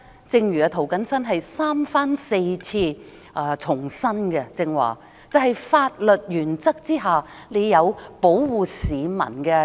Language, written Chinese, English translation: Cantonese, 正如涂謹申議員剛才三番四次重申，在法律原則之下，政府有保護市民的責任。, As Mr James TO has stated time and again just now the Government is under the legal principles obliged to protect members of the public